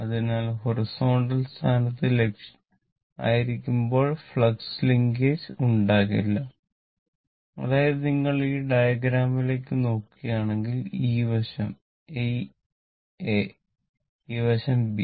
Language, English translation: Malayalam, So, there will be no flux linkage when it is at the horizontal position; that means, if you look into this diagram from here to here, this side is A and this side is B, right